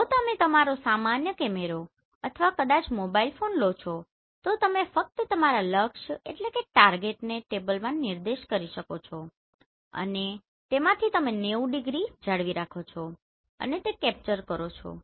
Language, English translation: Gujarati, If you take your normal camera or maybe mobile phone you just pinpoint your target on the table and from that you maintain the 90 degree and capture that